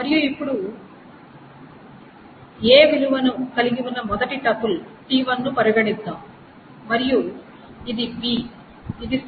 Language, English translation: Telugu, And let us now consider first triple t1 which has value A and this is B, this is C, this is the values